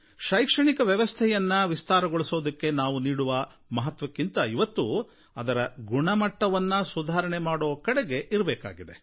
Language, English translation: Kannada, But today more than expanding education what is necessary is to improve the quality of education